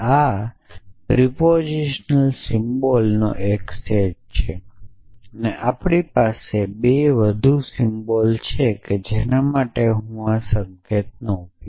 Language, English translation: Gujarati, So, this is a countable set of propositional symbols a we have 2 more symbols here one is I will use this notation